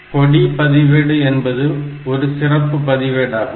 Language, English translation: Tamil, Another special register is the flag register